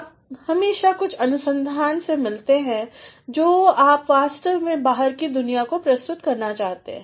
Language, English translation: Hindi, You always come across some amount of research, which you really want to present to the outside world